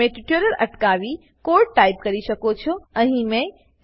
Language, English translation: Gujarati, You can pause the tutorial, and type the code as we go through it